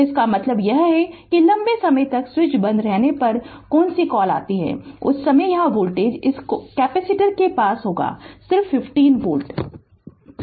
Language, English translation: Hindi, So that means, that that means that your what you call when switch was closed for long time right, at that time voltage voltage here what you call across this capacitor is just 15 volt